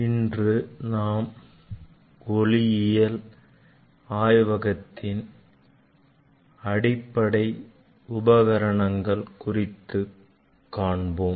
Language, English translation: Tamil, Today we will discuss about some basic components in optics lab